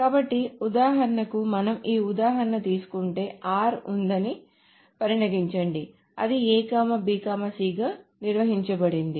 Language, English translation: Telugu, So for example, if we take this example, suppose there is R, which is defined as A, B, and C